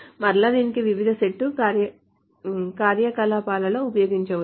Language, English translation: Telugu, And again, this can be used in different set operations, etc